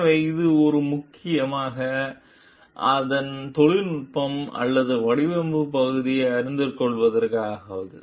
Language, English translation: Tamil, So, this is mainly for the knowing the technology or design part of it